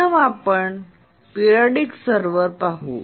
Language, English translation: Marathi, First let's look at the periodic server